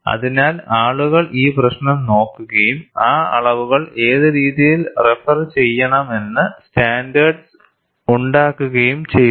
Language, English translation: Malayalam, So, people also looked at this issue and standardized which way those quantities have to be referred